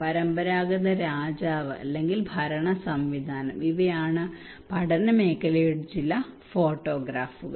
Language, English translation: Malayalam, Traditional king or kind of governance system these are some of the photographs of the study area